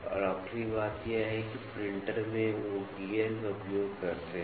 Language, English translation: Hindi, And, the last one is, in the printers they use gears